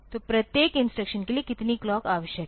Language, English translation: Hindi, So, how many clocks are needed per instructions